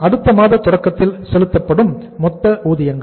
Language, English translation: Tamil, Total wages paid at the beginning of the next month